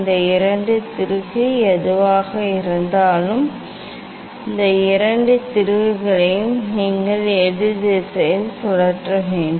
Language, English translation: Tamil, these two screw whatever, these two screw you have to rotate in opposite direction